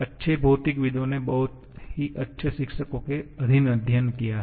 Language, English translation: Hindi, Good physicists have studied under very fine teachers